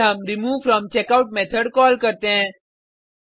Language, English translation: Hindi, We then call removeFromCheckout method